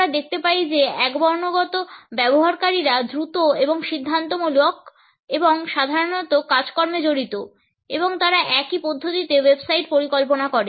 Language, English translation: Bengali, We find that monochronic users are quick and decisive and usually task oriented and they design the websites in the same manner